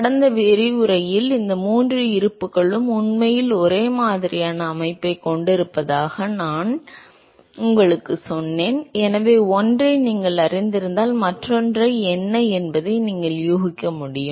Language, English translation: Tamil, Remember in last lecture I told you that these three balances they actually have very similar structure, so if you know one you should actually be able to guess what the other one is